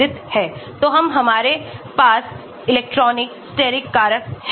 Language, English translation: Hindi, so we, we have the electronic, steric factors